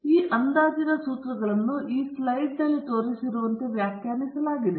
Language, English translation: Kannada, So, the formulae for these estimators are defined as shown in this slide